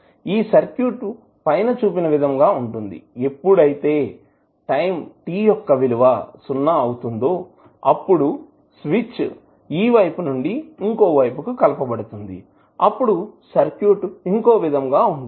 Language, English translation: Telugu, So, circuit would be like this and when at time t is equal to 0 when you apply the switch from this terminal to this terminal then the updated circuit would be different